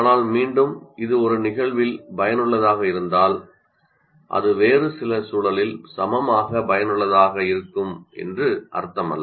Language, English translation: Tamil, But once again, if it is effective in a particular instance doesn't mean that it will be equally effective in some other context